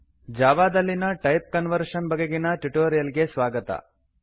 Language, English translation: Kannada, Welcome to the spoken tutorial on Type Conversion in Java